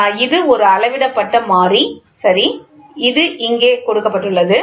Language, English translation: Tamil, So, this is a measured variable, ok, this is given here